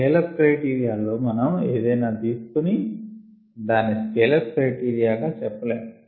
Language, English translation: Telugu, during scale up criteria we cannot choose anything and have that as a scale up criteria